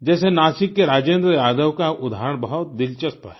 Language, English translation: Hindi, The example of Rajendra Yadav of Nasik is very interesting